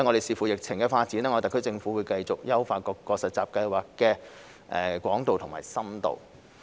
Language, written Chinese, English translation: Cantonese, 視乎疫情發展，特區政府將會繼續優化各個實習計劃的廣度和深度。, Depending on the development of the epidemic the SAR Government will continue to enhance the breadth and depth of the various internship programmes